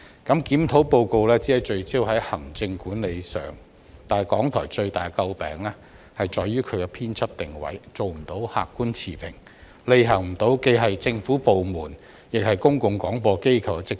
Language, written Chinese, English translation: Cantonese, 《檢討報告》只聚焦於行政管理之上，但港台最為人詬病之處卻在於其編輯定位不能做到客觀持平，無法履行既是政府部門，亦是公共廣播機構的職責。, The Review Report focuses only on its administration and management but the sharpest criticism against RTHK is its failure to maintain an objective and impartial editorial stance and thus its inability to discharge its duties and responsibilities as both a government department and a public service broadcaster